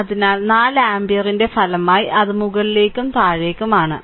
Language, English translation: Malayalam, So, resultant of 4 ampere it is upward and it is downwards